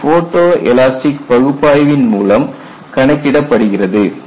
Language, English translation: Tamil, This is again then by photo elastic analysis